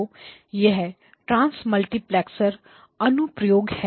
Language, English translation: Hindi, So the transmultiplexer application